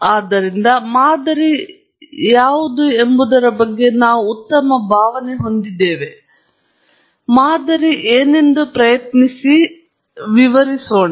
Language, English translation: Kannada, So, we have a good feel of what is a model, but let’s try and define what a model is